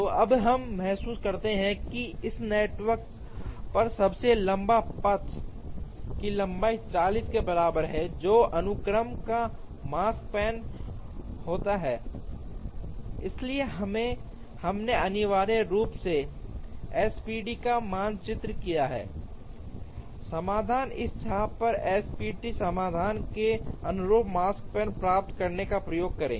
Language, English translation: Hindi, So, now we realize that the longest path on this network has a length equal to 40, which happens to be the Makespan of the sequence, so we have essentially mapped the SPT solution, on to this arc to try and get the Makespan corresponding to the SPT solution